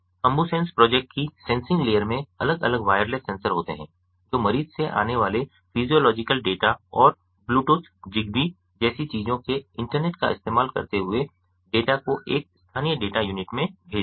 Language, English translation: Hindi, the sensing layer of the ambusens project consists of different wireless sensors which sample the physiological data coming from the patient and using internet of things communication technologies such as bluetooth, zigbee, among others